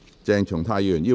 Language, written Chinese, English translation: Cantonese, 鄭松泰議員反對。, Dr CHENG Chung - tai voted against the motion